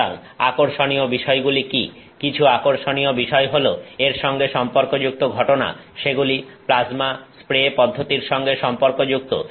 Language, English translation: Bengali, So, now what are the interesting some interesting things are there associated with phenomena, they are associated with this the plasma spray process